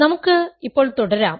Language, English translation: Malayalam, Let us continue now